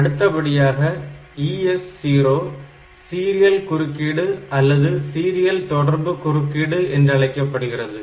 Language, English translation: Tamil, So, this is the serial interrupt or serial communication interrupt